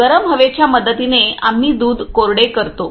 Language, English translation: Marathi, With help of the hot air we dry them milk